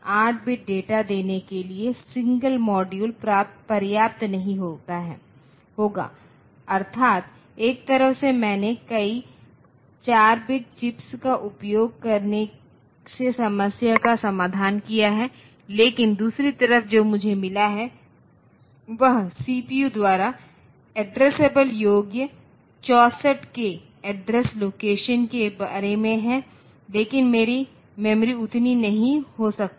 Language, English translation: Hindi, So, one module will not be sufficient for giving 8 bit of data that is one side I have solved the problem from 4 bit chips I have got 8 bit data bus created 8 bit bus created, but what about the other side that is I have got this 64 k memory a 64 k address locations addressable by the CPU, but my memory may not be that much